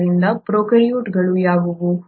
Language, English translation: Kannada, So, what are prokaryotes